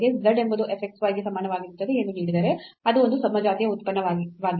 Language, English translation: Kannada, So, given that z is equal to f x y is a homogeneous function